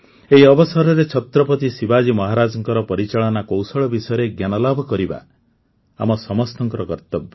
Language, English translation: Odia, It is the duty of all of us to know about the management skills of Chhatrapati Shivaji Maharaj on this occasion, learn from him